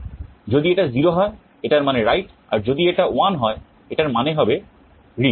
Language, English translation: Bengali, If it is 0, it means write, if it is 1 it means read